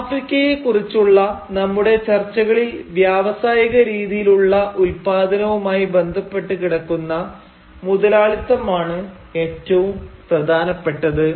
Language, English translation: Malayalam, But in our discussion of the African context, the kind of capitalism that is most important is the one that is associated with the rise of the industrial mode of production